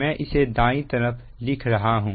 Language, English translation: Hindi, we can write this one